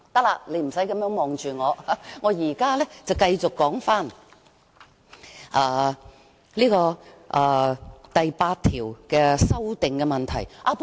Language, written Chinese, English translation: Cantonese, 行，你不用這樣看着我，我現在繼續就第8條的修訂發言。, Okay you need not stare at me that way as I will now return to the amendments to clause 8